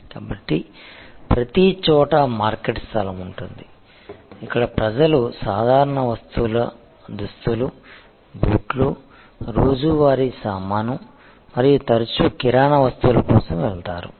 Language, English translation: Telugu, So, everywhere there will be a market place, where people will go for general merchandise apparel, shoes, daily ware stuff and often also for groceries